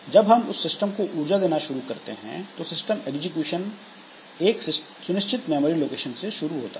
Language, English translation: Hindi, So, when power initialized on system, execution starts at a fixed memory location